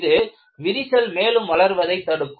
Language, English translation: Tamil, It prevents the crack to grow easier